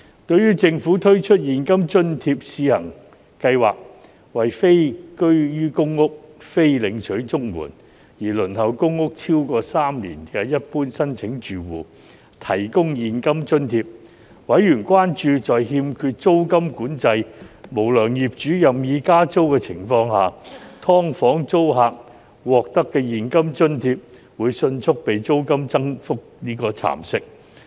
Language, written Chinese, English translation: Cantonese, 對於政府推出現金津貼試行計劃，為非居於公屋、非領取綜援而輪候公屋超過3年的一般申請住戶提供現金津貼，委員關注在欠缺租金管制和無良業主任意加租的情況下，"劏房"租客獲得的現金津貼會迅速被租金增幅蠶食。, Noting that the Government would implement the Cash Allowance Trial Scheme to provide cash allowance to General Applicant households who were not living in public housing not receiving the Comprehensive Social Security Assistance and had waited for PRH for more than three years members were concerned that in the absence of rent control unscrupulous landlords might increase rents at will and the cash allowance that tenants of subdivided units SDUs received under the Trial Scheme would be quickly gnawed away as a result